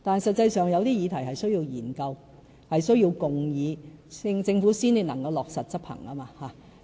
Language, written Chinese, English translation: Cantonese, 實際上，有些議題的確需要研究、需要共議，政府才能落實執行。, Actually in the case of certain topics we really need to conduct studies and hold discussions before the Government can proceed